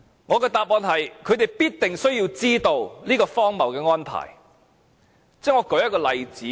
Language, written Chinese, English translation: Cantonese, 我的答案是，他們必定需要知道有這個荒謬的安排。, My answer is it must be their duty to know when there is such an absurd arrangement